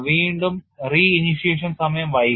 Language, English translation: Malayalam, So, you delay the re initiation time